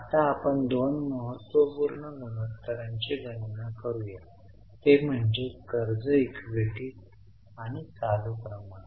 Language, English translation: Marathi, Now let us calculate two important ratios that is debt equity and current ratio